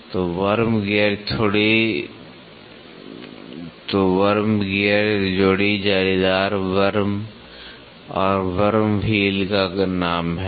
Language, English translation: Hindi, So, the worm gear pair is the name for a meshed worm and a worm wheel